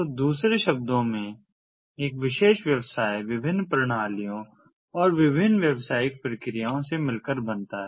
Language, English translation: Hindi, so so, in other words, a particular business is comprised of different systems and different processes, business processes